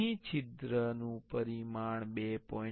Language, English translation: Gujarati, Here the hole dimension will be 2